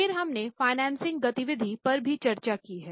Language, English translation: Hindi, We also discussed financing activity